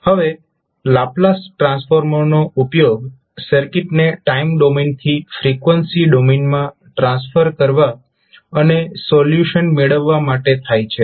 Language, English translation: Gujarati, Now, Laplace transform is used to transform the circuit from the time domain to the frequency domain and obtain the solution